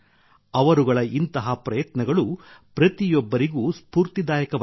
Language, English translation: Kannada, Their efforts are going to inspire everyone